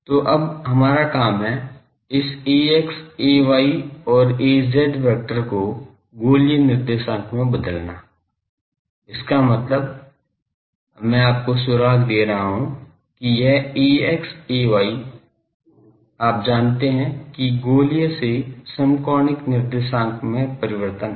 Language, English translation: Hindi, So, your job is to now, convert this ax ay and az vector to spherical coordinates; that means, I am giving you the clue that ax ay, this you know spherical to rectangular coordinate transformation just